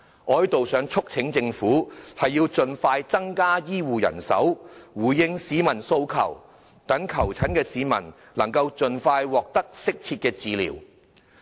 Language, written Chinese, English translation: Cantonese, 我希望在此促請政府盡快增加醫護人手，回應市民訴求，讓求診市民能夠盡快獲得適切的治療。, I hope to hereby urge the Government to expeditiously strengthen healthcare manpower to respond to peoples needs so that they will receive appropriate treatment as soon as possible